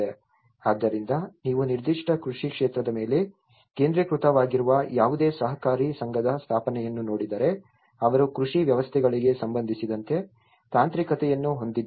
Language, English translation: Kannada, So, if you look at the setup of any cooperative society which is focused on a particular agricultural sector, they were having the technicality with relation to the agricultural setups